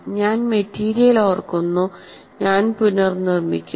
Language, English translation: Malayalam, I remember the material and I reproduce